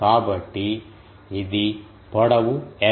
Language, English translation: Telugu, So, it is a length l